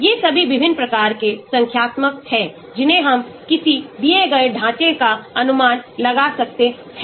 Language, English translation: Hindi, All these are various types of numerical, which we can estimate for a given structure